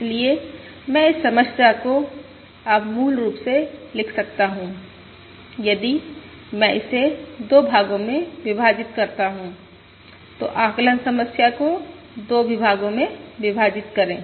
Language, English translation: Hindi, Therefore, I can write this problem now as, basically, if I split it into 2 parts, split the estimation problem into 2 parts